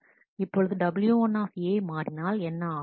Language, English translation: Tamil, Now what does w 1 A changes